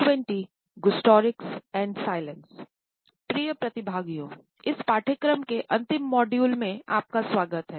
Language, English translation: Hindi, Welcome, dear participants to the last module of this course